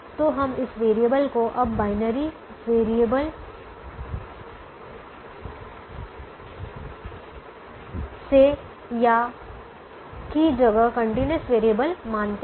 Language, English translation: Hindi, so we treat this variable now from a binary variable to a continuous variable